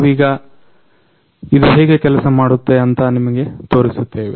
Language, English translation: Kannada, Now we are going to show you how it actually working